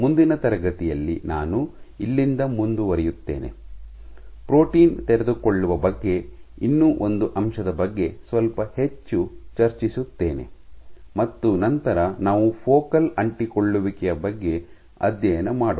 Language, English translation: Kannada, In the next class will continue from here, discuss little bit more about one more aspect about protein unfolding, and then we will go on to study focal adhesions